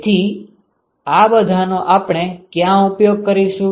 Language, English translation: Gujarati, So, where do we use all this